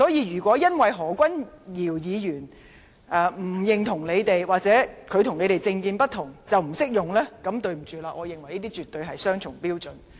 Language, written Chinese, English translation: Cantonese, 如果因為何君堯議員不認同你們或他的政見與你們不同便不適用的話，那麼對不起，我認為這絕對是雙重標準。, If you think that your words are not applicable because Dr Junius HO disagrees with you people or his political views differ from yours then I am sorry to say that this is definitely a double standard in my view